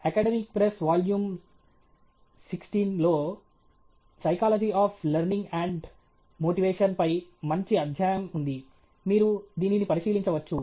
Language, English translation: Telugu, There’s a good chapter on Psychology of Learning and Motivation in Academic Press Volume Sixteen; you can take a look at this